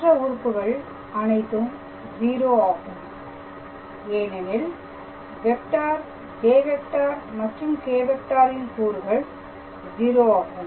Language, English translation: Tamil, So, here in case of this vector; j and k components are 0